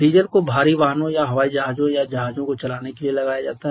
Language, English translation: Hindi, Diesel is applied for running heavier automobiles or aircrafts or ships